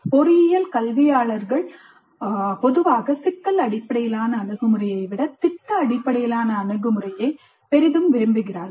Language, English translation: Tamil, Engineering educators generally seem to prefer project based approach to problem based one